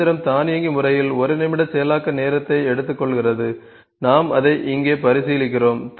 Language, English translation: Tamil, The machine is automated it is taking 1 minute processing time we are just considering it here